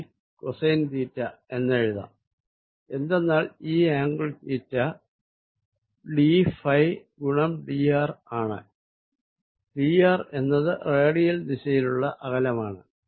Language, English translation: Malayalam, So, I can write this as R square d cosine of theta, because this angle is theta d phi times d r, where d r is this distance along the radial direction